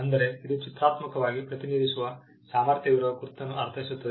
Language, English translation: Kannada, It means a mark capable of being represented graphically